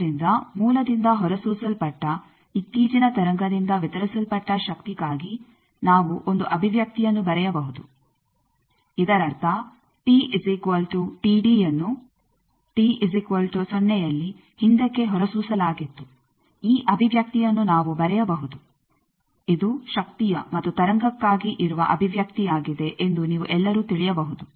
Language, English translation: Kannada, So, we can write an expression for that the power delivered by the latest wave emitted by source; that means, which was emitted t is equal to T d back at t is equal to zero that we can write this expression you can all know that this is the expression of power and for a wave